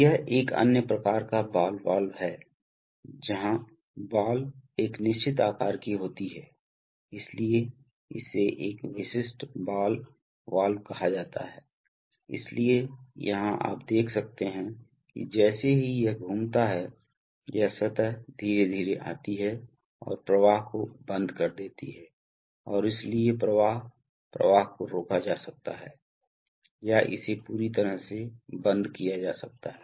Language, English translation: Hindi, This is another kind of ball valve, where the, where the ball is of a certain shape, so it is called a characterized ball valve, so here you can see that as again as it rotates, this surface slowly comes and closes the flow and therefore the flow, flow can be throttled or it can be completely shut off